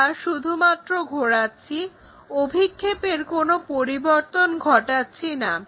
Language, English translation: Bengali, We are going to make it there we are just rotating not changing any projections